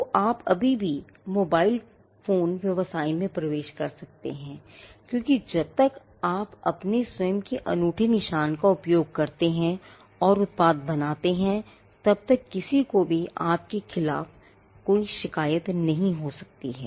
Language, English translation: Hindi, So, you can still enter the mobile phone business because, as long as you use your own unique mark and come up with a product, nobody can have any grievance against you